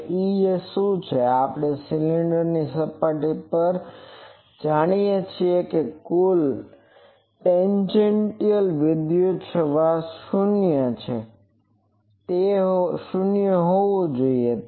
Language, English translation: Gujarati, Now, what is E z s, we know at the cylinder surface, the total tangential electric field should be 0